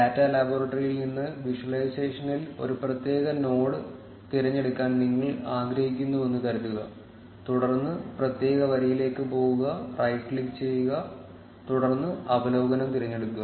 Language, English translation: Malayalam, Let say, you want to select a particular node in the visualization from the data laboratory, then go to the particular row, right click and then select select on overview